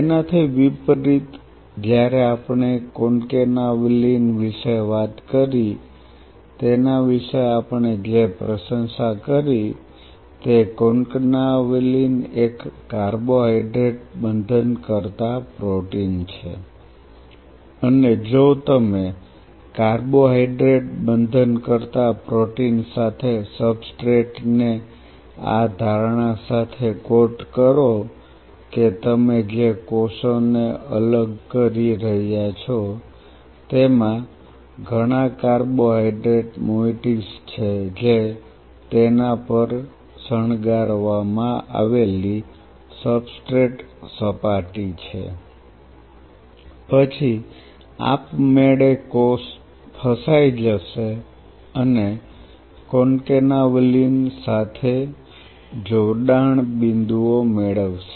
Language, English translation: Gujarati, On the contrary when we talked about the Concanavalin, what we appreciated about it is Concanavalin is a carbohydrate binding protein, and if you coat the substrate with the carbohydrate binding protein with the assumption that the cells what you are isolating are having a lot of carbohydrate moieties decorated on it is substrate surface then automatically the cell will get trapped or will get attachment points with Concanavalin right